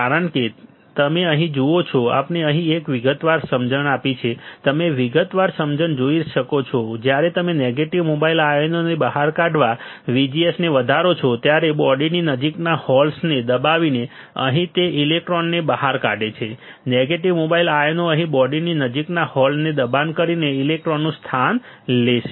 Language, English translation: Gujarati, Because you see here, we have given a detail understanding here you can see the detail understanding, VGS when you increase on uncovering of negative mobile ions take place by pushing holes near the body right uncovering of the electrons that is here, we will take place right negative mobile ions is here electrons by pushing holes near the body